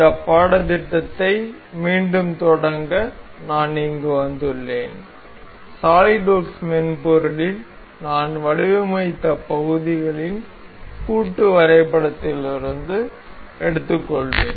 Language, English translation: Tamil, I am here to resume this course, I will take on from the assembly of the parts we have designed in the software solidworks